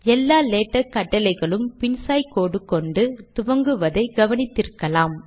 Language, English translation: Tamil, You may have already noticed that all latex commands begin with a reverse slash